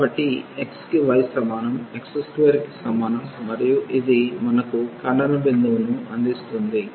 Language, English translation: Telugu, So, y is equal to x is equal to x square and this will be give us the point of intersection